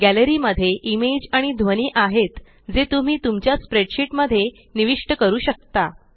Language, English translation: Marathi, Gallery has image as well as sounds which you can insert into your spreadsheet